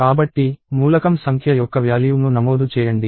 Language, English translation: Telugu, So, it says enter value of element number; percentage d